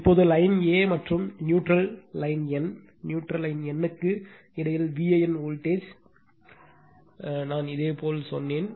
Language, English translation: Tamil, Now, so V a n voltage between line a and neutral line n right neutral line n, this I told you